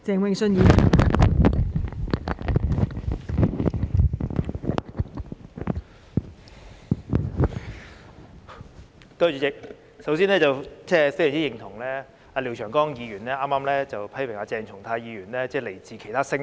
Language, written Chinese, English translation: Cantonese, 代理主席，首先，我非常認同廖長江議員剛才批評鄭松泰議員時說他來自其他星球。, Deputy President first of all I very much agree to Mr Martin LIAOs earlier comment that Dr CHENG Chung - tai came from other planets or from Mars